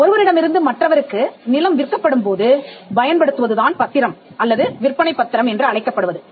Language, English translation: Tamil, What we call the deed or the sale deed, by which a land is conveyed from one person to another